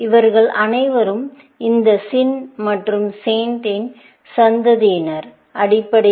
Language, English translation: Tamil, These are all the descendants of this SIN and SAINT, essentially